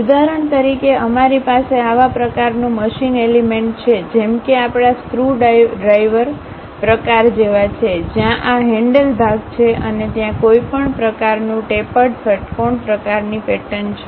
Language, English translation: Gujarati, For example, we have such kind of machine element, more like our screwdriver type, where this is the handle portion and there is some kind of tapered hexagonal kind of pattern